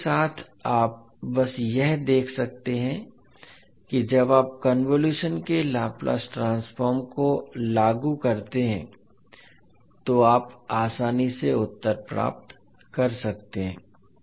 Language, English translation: Hindi, So with this you can simply see that when you apply the Laplace transform of the convolution you can easily get the answers